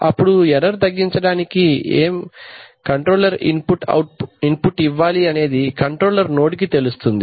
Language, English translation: Telugu, So you give the error to the controller then the controller node knows that what control input to give such that the error is minimized